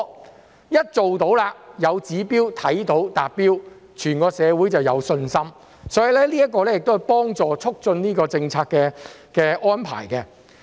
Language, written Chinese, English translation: Cantonese, 定有指標後，一旦做到了，看到達標了，整個社會就有信心，這亦可以幫助促進政策安排。, With a set target society as a whole will gain confidence once they see that the target is achieved and this will also facilitate the promotion of policy arrangements